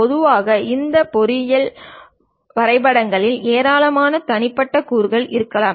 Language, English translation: Tamil, Typically these engineering drawings may contains more than 10 Lakh individual components